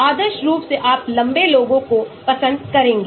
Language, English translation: Hindi, ideally you would like to have tall guys